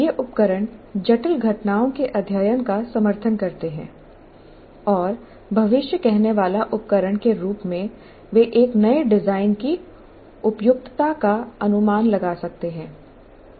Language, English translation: Hindi, And these tools support the study of complex phenomena and as a predictive tools they can anticipate the suitability of a new design